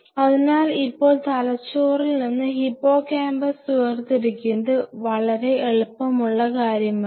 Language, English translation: Malayalam, So, now in the brain isolating hippocampus is not something very easy